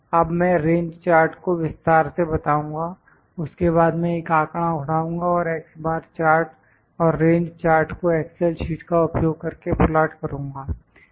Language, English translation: Hindi, I will now explain the range chart then I will pick a data and try to plot both the x bar chart and the range chart using excel sheets